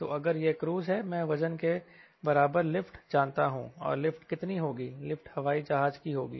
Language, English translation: Hindi, so if it is a cruise, an lift equal to weight, and how much is the lift